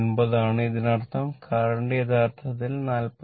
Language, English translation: Malayalam, Now, this is the current 43